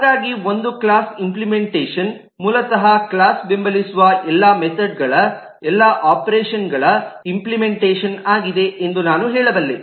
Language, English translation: Kannada, so I can say that the implementation of a class is basically the implementation of all the operations, of all the methods that the class support